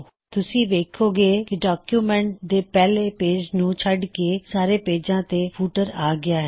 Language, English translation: Punjabi, You see that there is footer on all the pages of the document except the first page